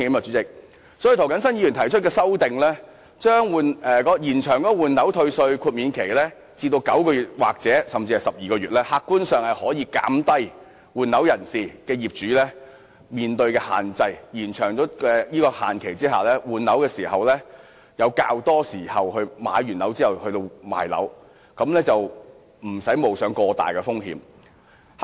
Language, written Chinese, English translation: Cantonese, 所以，涂謹申議員提出修正案，要求延長換樓退稅的豁免期至9個月或12個月，以減低換樓業主面對的限制，讓他們在購置新物業後，有較多時間出售原有物業，無須冒過大風險。, For this reason Mr James TO proposed an amendment to extend the time limit for replacing flats under the tax rebate mechanism to 9 months or 12 months so as to minimize the restraints faced by owners replacing their properties . They will then have more time to sell their original flat after purchasing a new flat and thus avoid significant risks